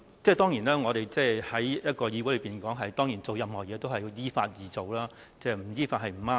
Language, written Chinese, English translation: Cantonese, 當然，我們在議會內做任何事，都要依法而行，不依法是不對的。, Of course all the businesses in the legislature should be conducted according to the law and it will be wrong if it is not conducted according to the law